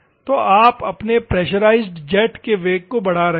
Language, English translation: Hindi, So, you are increasing the velocity of your pressurized jet